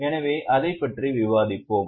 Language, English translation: Tamil, So, we will discuss about the same